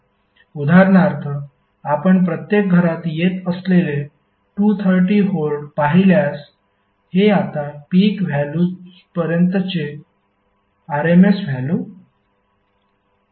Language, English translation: Marathi, Say for example if you see to 230 volts which is coming to every household this is rms value now to the peak value